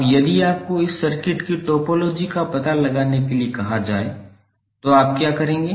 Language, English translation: Hindi, Now if you are ask to find out the topology of this circuit, what you will do